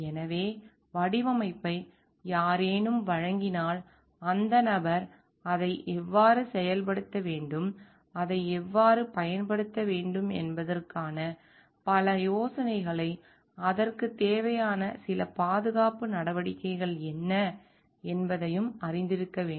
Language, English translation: Tamil, So, if the design is given by someone that person must be having some idea of how it should be implemented and how it should be used what are the safety measures required to it